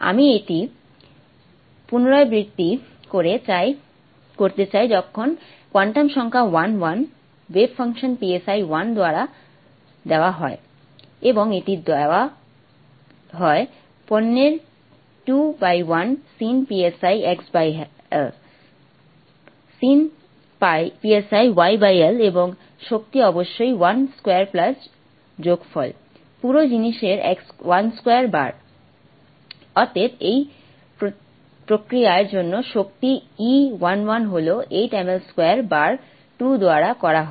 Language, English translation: Bengali, When the quantum number is 1 1 the way function is given by si 1 1 and it's given by the product of 2 by l sine pi x by l and sine pi y by l and the energy is of course the sum of 1 square plus 1 square times the whole thing therefore the energy for this process e11 is H squared by 8 ml square times 2